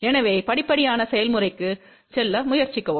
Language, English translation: Tamil, So, try to go step by step process